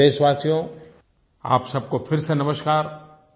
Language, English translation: Hindi, My dear countrymen, Namaskar to all of you once again